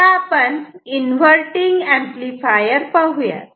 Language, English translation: Marathi, Now, let us see the inverting amplifier